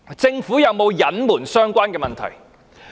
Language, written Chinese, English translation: Cantonese, 政府有沒有隱瞞相關的問題？, Did the Government cover up these problems?